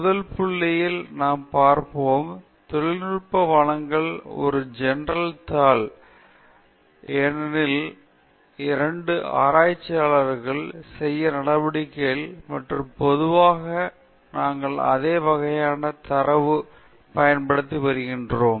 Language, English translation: Tamil, So, the first point, we will look at is technical presentation versus a journal paper, because both of these are activities that researchers do, and, typically, we are using the same kind of data